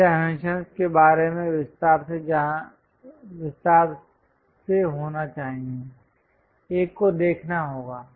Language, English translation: Hindi, These dimensions supposed to be in detail one has to show